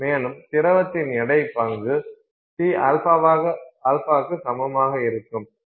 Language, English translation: Tamil, And so, the weight fraction of liquid will be equal to C alpha, okay